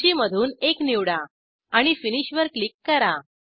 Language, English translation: Marathi, Choose one from the list and click on Finish